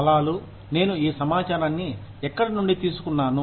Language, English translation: Telugu, Places, where I have taken, this information from